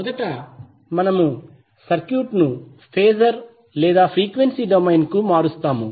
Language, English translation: Telugu, First, what we will do will transform the circuit to the phasor or frequency domain